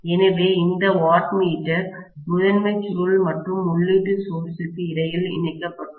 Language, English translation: Tamil, So, this wattmeter is connected in between the primary coil and the input source, right